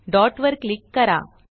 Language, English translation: Marathi, Click at the dot